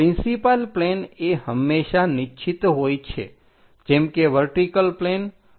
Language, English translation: Gujarati, Principal planes are always be fixed like vertical planes horizontal planes